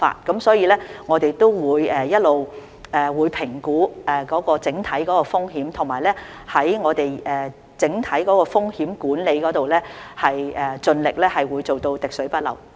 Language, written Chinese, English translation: Cantonese, 總括而言，我們會一直評估整體風險，並在整體風險管理方面盡力會做到滴水不漏。, In summary as far as overall risks are concerned we will make constant assessments and all - out management efforts to fully cover all possibilities